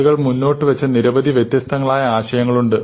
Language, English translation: Malayalam, Now, there are many different notions that people have come up with